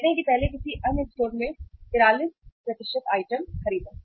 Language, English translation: Hindi, Say first is 43% buy item at another store